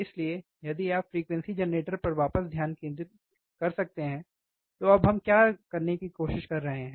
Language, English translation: Hindi, So, again if you can focus back on the frequency generator, what we are now trying to do